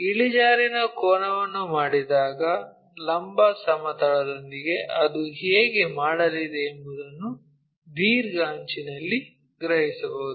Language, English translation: Kannada, When we do that the inclination angle we can sense the longer edge how it is going to make with vertical plane